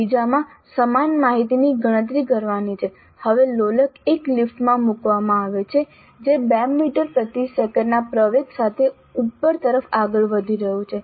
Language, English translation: Gujarati, But in the second one, the same information is to be calculated, but now the pendulum is placed in a lift which is moving upwards within an acceleration of 2 meters per second square